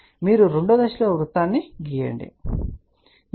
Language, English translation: Telugu, So, that is the step two that you draw the circle, ok